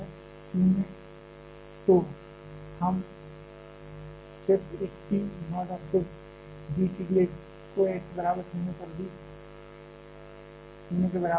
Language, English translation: Hindi, So, we are just putting a single T naught and then d T d x at x equal to 0 is also equal to 0